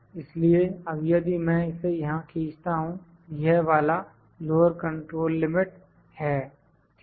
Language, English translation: Hindi, So, now, I will, if I drag it here the lower control limit is this one, ok